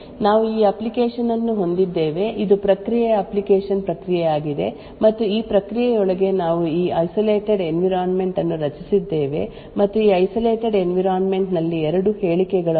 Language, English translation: Kannada, us assume that we have this application, this is the process application process and within this process we have created this isolated environment and in this isolated environment there are these two statements interrupt buf 10 and buf 100 equal to some particular thing, what would happen in such a case